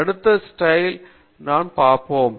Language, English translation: Tamil, I will show in the next slide